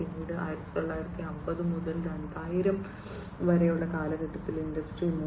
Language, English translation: Malayalam, Then came in 1950s to 2000s, the industry 3